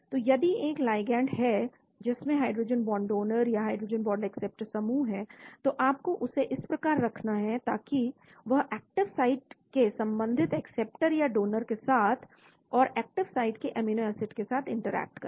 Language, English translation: Hindi, So if there is a ligand which has hydrogen bond donor or hydrogen bond acceptor group, you need to position that so that it has an interaction with the active site corresponding acceptor and donor and the amino acids in the active site